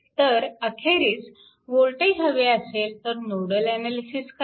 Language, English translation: Marathi, So, ultimate thing is, if voltage are required, then you go for nodal analysis